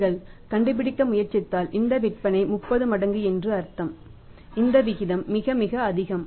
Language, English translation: Tamil, If you try to find so it means these sales are 30 times it means that ratio is very, very high